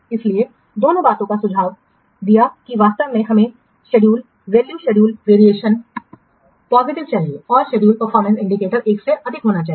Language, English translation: Hindi, So both the things suggested that actually we require schedule value or schedule variance positive and schedule performance indicators should be greater than 1